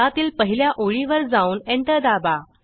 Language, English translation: Marathi, In gedit, go to the first line and press enter